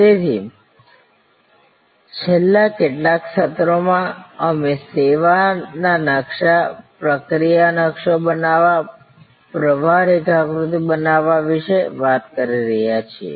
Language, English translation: Gujarati, So, in the last few sessions, we have been talking about service blue printing, creating the process map, creating the flow diagram